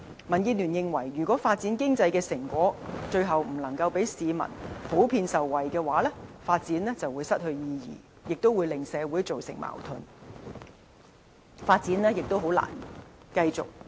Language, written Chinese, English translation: Cantonese, 民建聯認為如果發展經濟的成果最後不能令市民普遍受惠，發展便會失去意義，也會為社會製造矛盾，發展亦難以繼續。, DAB believes that economic development will lose its meaning if the people cannot generally benefit from the fruit of it in the end . Also this will create conflicts in society nor will development be able to go on